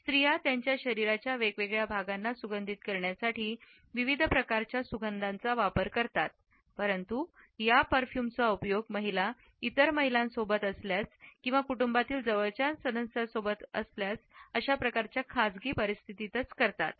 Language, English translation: Marathi, Women use a wide range of scents to perfume different parts of their bodies, but these perfumes are used by women only in private situations in the company of other women or close family members